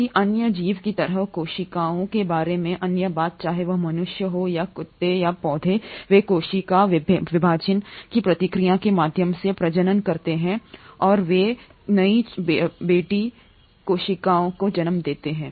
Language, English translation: Hindi, The other thing about cells like any other organism whether human beings or dogs or plants is that they reproduce through the process of cell division and they give rise to new daughter cells